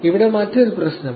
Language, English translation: Malayalam, Here is another problem